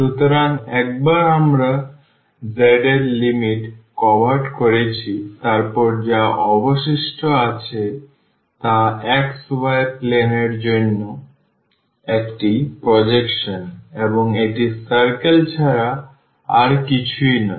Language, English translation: Bengali, So, once we have covered the limits of z then what is left it is a projection to the xy plane and that is nothing, but the circle